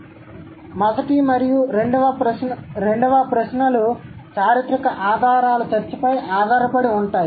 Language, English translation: Telugu, So, the first and the second questions are based on the historical evidence or the historical discussion